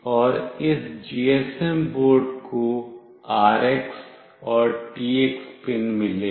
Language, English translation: Hindi, And this GSM board has got RX and TX pins